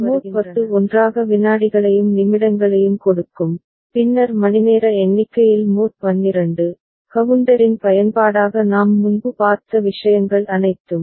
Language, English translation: Tamil, So, mod 6, mod 10 together giving seconds and also to minutes and then mod 12 for the hour count, all those things we have seen before as use of counter